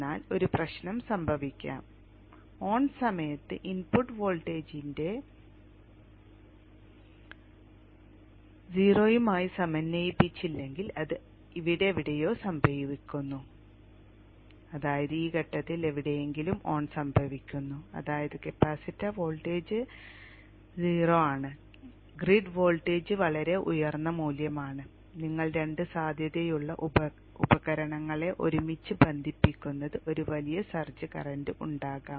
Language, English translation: Malayalam, What if at the time of turn on the turn on was not synchronized with the zero of the input voltage but it occurs somewhere here which means the turn on occurs somewhere at this point which means that the capacitor voltage is zero and the grid voltage is pretty high value and you are connecting two potential devices together there could be a huge search current so what happens to the current wave shape